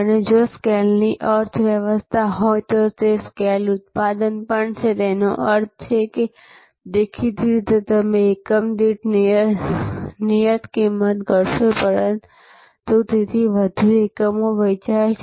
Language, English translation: Gujarati, And also the scale production are if there is a economy of scale; that means, more volume; obviously you are fixed cost per unit will down, it more units are sold so